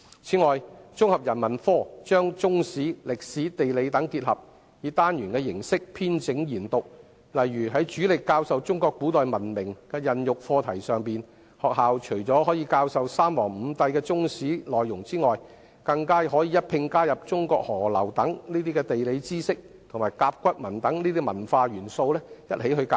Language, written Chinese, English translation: Cantonese, 此外，綜合人文科把中史、歷史、地理等結合，以單元形式編整研讀，例如在主力教授中國古代文明孕育的課題上，學校除了可以教授有關三皇五帝的內容，更可一併加入中國河流等地理知識和甲骨文等文化元素。, Furthermore the teaching of Integrated Humanities which has combined Chinese History World History and Geography was designed in modular form . For instance in teaching the subject of ancient Chinese civilization apart from the Three Sovereigns and Five Emperors geographical knowledge of Chinese rivers and cultural elements such as oracle can also be incorporated